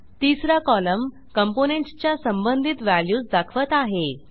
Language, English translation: Marathi, The third column shows values of the corresponding components